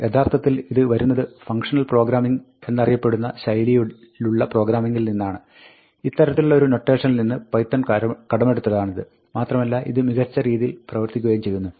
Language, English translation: Malayalam, This actually comes from a style of programming called functional programming, which, from where this kind of a notation is there, and python has borrowed it and it works quite well